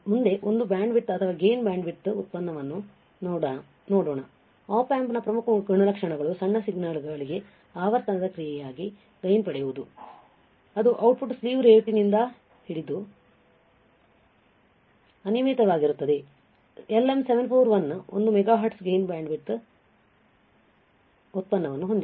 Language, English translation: Kannada, Let us see the next one bandwidth or gain bandwidth product, very important characteristics of an Op amp the gain as a function of frequency for smaller signals right that is output is unlimited by slew rate the LM741 has a gain bandwidth product of 1 megahertz ok